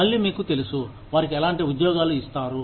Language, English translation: Telugu, Again, you know, what kind of jobs are given to them